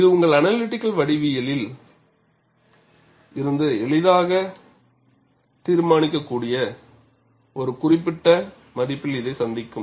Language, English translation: Tamil, This will meet this, at a particular value, which could be easily determined from your analytical geometry